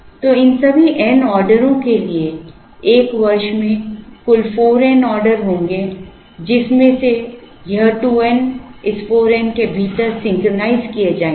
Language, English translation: Hindi, So, for all these n orders so there will be a total of 4 n orders in a year, out of which this 2 n will be synchronized within this 4 n